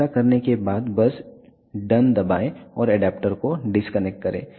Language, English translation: Hindi, After doing this just press done and disconnect the adaptor